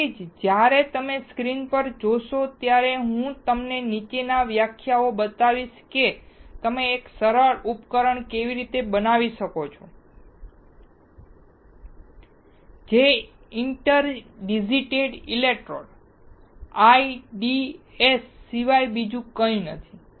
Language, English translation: Gujarati, So, that is why, when you see the screen what I will show you in the following lectures is how you can fabricate a simple device which is nothing but inter digitated electrodes IDEs